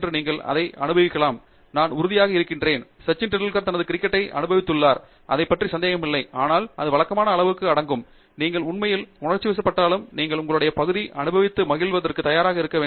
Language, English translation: Tamil, You might enjoy it, I am sure; Sachin Tendulkar enjoyed his cricket, there is no doubt about it, but it involves an equal amount of routine, and you have to be ready for that even if you really are passionate and you enjoy your area, you have to be ready for the routine